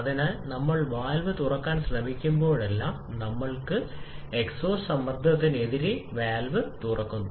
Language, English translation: Malayalam, So, whenever we are trying to open the valve, we have opened the valve against the pressure of the exhaust